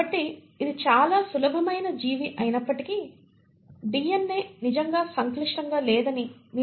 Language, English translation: Telugu, So you find that though it is a very simple organism the DNA is not really as complex